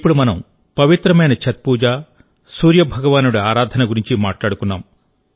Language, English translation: Telugu, My dear countrymen, we have just talked about the holy Chhath Puja, the worship of Lord Surya